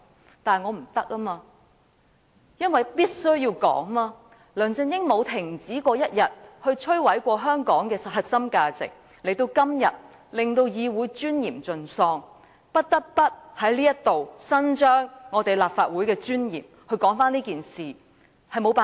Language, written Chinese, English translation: Cantonese, 然而，我不得不支持這項議案，因為梁振英沒有一天停止摧毀香港的核心價值，亦令議會尊嚴盡喪，我不得不在此為了立法會的尊嚴，支持這議案，真是沒有辦法。, However I cannot help but support this motion because LEUNG Chun - ying has never stopped destroying Hong Kongs core values and depriving this Council of its dignity . To safeguard the dignity of the Legislative Council I must support this motion . There is really nothing else I can do